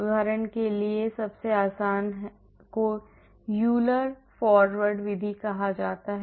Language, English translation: Hindi, For example, the easiest one is called the Euler’s Forward method